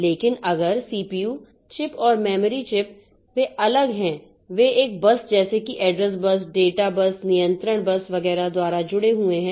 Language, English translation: Hindi, But if this CPU chip and memory chip they are separate, they are connected by a bus, the address bus, data bus, control bus and etc